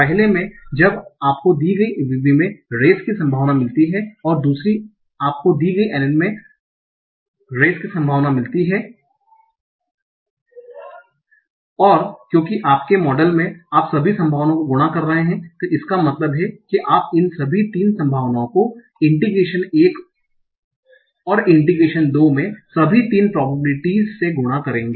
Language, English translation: Hindi, Then in the first one you find probability of NR given VB and second you find probability of NR given NN n in the first one you find probability of raise given vb and second you find probability of race given n n and because in your model you are multiplying all the probabilities that means you will multiply all these three probabilities in the interpretation one and all three in the deposition two